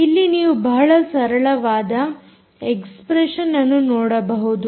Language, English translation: Kannada, you can see that its a very simple expression